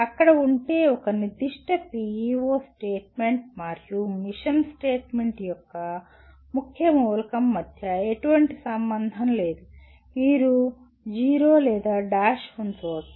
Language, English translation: Telugu, If there is no correlation between a particular PEO statement and the key element of the mission statement you can put a 0 or a dash